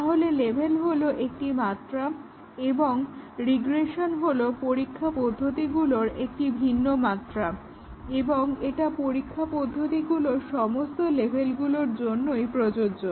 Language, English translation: Bengali, So, level is one dimension and regression testing is a different dimension of testing and it is applicable to all levels of testing